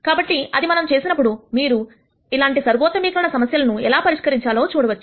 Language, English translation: Telugu, So, when we do that, you will see how we solve these kinds of optimization problems